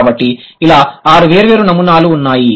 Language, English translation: Telugu, So there are six different patterns